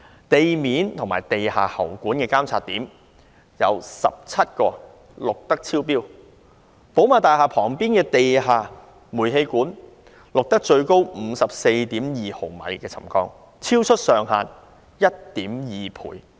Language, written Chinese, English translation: Cantonese, 至於地面及地下喉管的監測點，則有17個錄得超標；寶馬大廈旁邊的地下煤氣管道，錄得最高 54.2 毫米沉降，超出上限 1.2 倍。, As regards the monitoring points for ground surface and underground pipes 17 recorded readings exceeding the trigger level . The underground gas pipes next to BMW House recorded the highest settlement of 54.2 mm or 2.2 times above the threshold